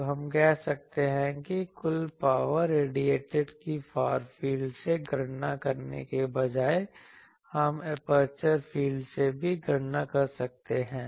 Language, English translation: Hindi, So, we can say that total power radiated instead of calculating from the far fields, we can also calculate from the aperture fields